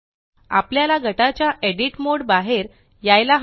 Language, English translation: Marathi, So we have to exit the Edit mode of the group